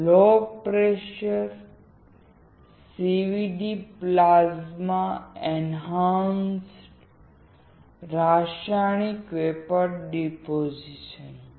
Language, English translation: Gujarati, Low pressure CVD is plasma enhanced chemical vapor deposition